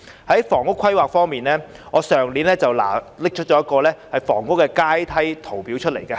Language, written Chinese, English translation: Cantonese, 在房屋規劃方面，我去年曾拿出一張房屋階梯圖表。, On housing planning I showed a chart of housing ladder last year